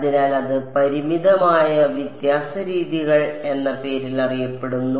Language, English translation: Malayalam, So, that is known by the name of finite difference methods